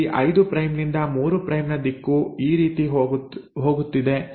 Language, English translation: Kannada, Now here the 5 prime to 3 prime direction is going this way